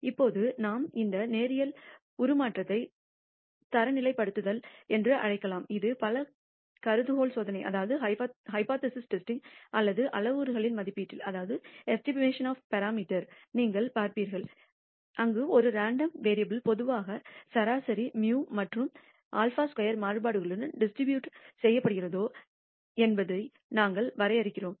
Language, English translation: Tamil, Now we can use this linear transformation to do something called standardization, which you will see often in many many application of hypothesis testing or estimation of parameters, where we simple define if a random variable is normally distributed with mean mu and sigma squared variance